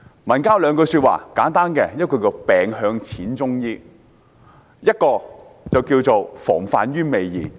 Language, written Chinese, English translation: Cantonese, 民間有兩句簡單的說話，其一是"病向'淺'中醫"，另一句是"防患於未然"。, There are two popular sayings among our folks one being seeking treatment at an early stage of illness and the other taking precautions beforehand